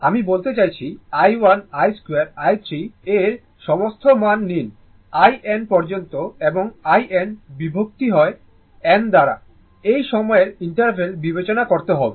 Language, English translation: Bengali, I mean, you take all the value i 1, i 2, i 3 up to i n and i n divided by your n you have to consider up to this time interval up to n